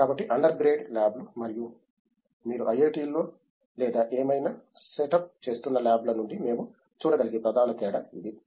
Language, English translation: Telugu, So, that’s what the main difference we can see from the under grade labs and the labs which you are setup in the IIT’s or whatever